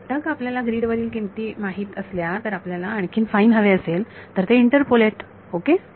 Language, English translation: Marathi, Once you know values on the grid, if you want finer then that interpolate ok